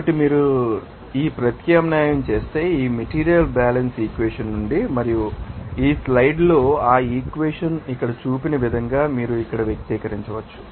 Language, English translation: Telugu, So, if you substitute that from this material balance equation and you can then express like here as shown here in this slide that equation